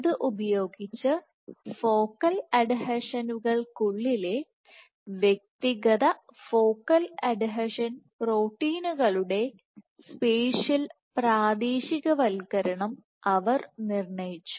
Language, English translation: Malayalam, So, using this she determined the spatial localization of individual focal adhesion proteins within focal adhesions